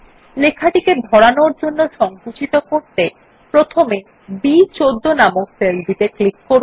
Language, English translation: Bengali, In order to shrink the text so that it fits, click on the cell referenced as B14 first